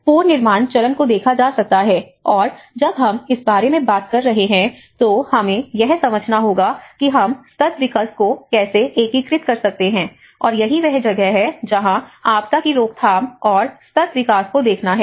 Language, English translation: Hindi, And one can look at the reconstruction phase, and that is where when we talk about, when we are talking about this, we have to understand that you know how we can integrate the sustainable development and that is where one has to look at the disaster prevention and the sustainable development